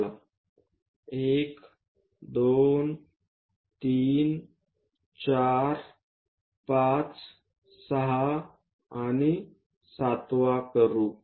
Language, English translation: Marathi, Let us do 1 2 3 4 5 6 and the 7th one